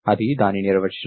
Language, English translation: Telugu, That is the definition